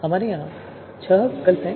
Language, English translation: Hindi, So we have six alternatives here